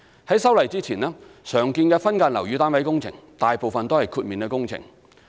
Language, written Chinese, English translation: Cantonese, 在修例前，常見的分間樓宇單位工程大部分為豁免工程。, Before the amendment building works commonly associated with subdivided units were mostly exempted